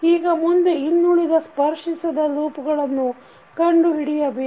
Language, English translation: Kannada, Now, next we need to find out the other non touching loops